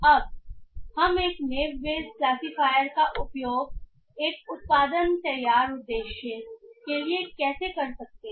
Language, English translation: Hindi, Now how we can use a Neibaius classifier for a production ready purpose